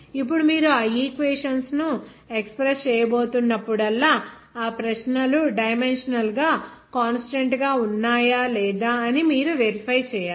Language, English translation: Telugu, Now, whenever you are going to express those equations, you have to verify whether those questions are dimensionally consistent or not